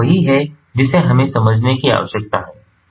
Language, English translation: Hindi, so this is what we need to understand